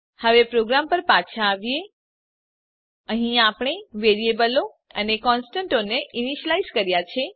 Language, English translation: Gujarati, Now Come back to our program Here we have initialized the variables and constants